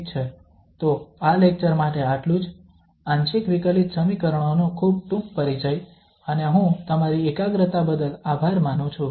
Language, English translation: Gujarati, Well, so that is all for this lecture, a very short introduction to partial differential equations and I thank you for your attention